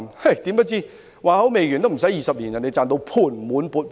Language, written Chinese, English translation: Cantonese, 誰料不出20年，他已賺到盤滿缽滿。, To their surprise in less than 20 years he has already reaped a hefty profit